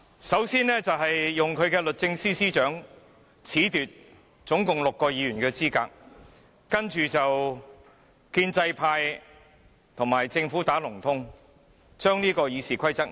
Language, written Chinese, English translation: Cantonese, 首先，政府利用律政司司長褫奪總共6位議員的資格，接着建制派與政府"打龍通"，提出修改《議事規則》。, First of all the Government made use of the Secretary for Justice to disqualify a total of six Members . Later on the pro - establishment camp colluded with the Government to propose amending the Rules of Procedure